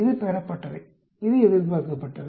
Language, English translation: Tamil, This is observed, this is expected